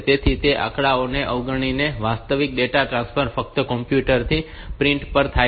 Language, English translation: Gujarati, So, ignoring those statistics actual the data transfer is from the computer to the printer only